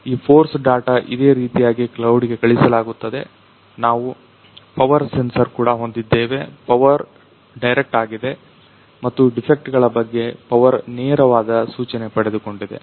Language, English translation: Kannada, And this force data is sent to the cloud similarly, we have also acquired the power sensor, power is a direct and the power it has got the direct indication about the defects